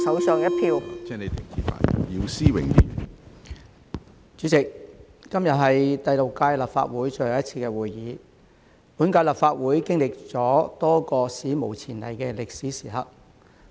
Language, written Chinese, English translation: Cantonese, 主席，今天是第六屆立法會最後一次會議，本屆立法會經歷了多個史無前例的歷史時刻。, President todays meeting is the last of the Sixth Legislative Council which has experienced a number of unprecedented historical moments